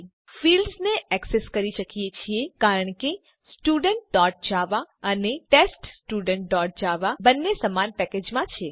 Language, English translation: Gujarati, We can access the fields because both Student.java and TestStudent.java are in the same package